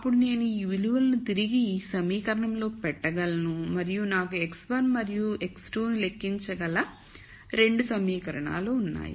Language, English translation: Telugu, Then I could substitute those values back into this equation and I have 2 equations I can calculate x 1 and x 2